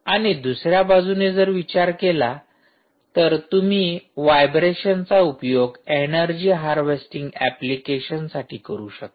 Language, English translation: Marathi, so can you actually exploit vibrations and see, use that for any sort of energy harvesting applications